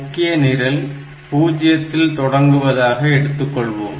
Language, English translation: Tamil, So, the main program can start from say at least 0